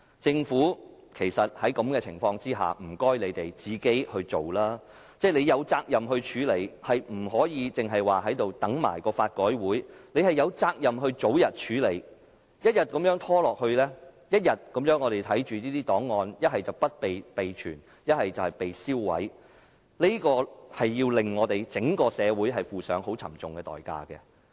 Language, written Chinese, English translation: Cantonese, 在這情況下，請政府自己把這事情做好，政府是有責任作出處理的，不可以只說等待法改會的報告，政府有責任早日作出處理，一天一天拖下去，我們便看着這些檔案要不是不獲備存，便是被銷毀，這會令我們整個社會負上很沉重的代價。, The Government is duty - bound to deal with this issue rather than just telling us to wait for the report of LRC . The Government is duty - bound to address this issue early . If it keeps dragging its feet day after day we will be seeing these records either not being preserved or they being destroyed and for this our whole society will have to pay a heavy price